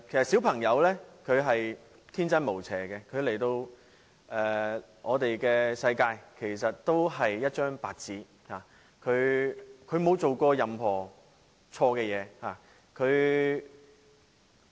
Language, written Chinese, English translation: Cantonese, 小朋友天真無邪，他們來到這個世界時是一張白紙，沒有做過任何錯事。, Children are innocent . When they are born to this world they are so pure as to have done anything wrong